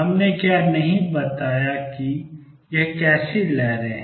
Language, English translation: Hindi, What we have not said what kind of waves these are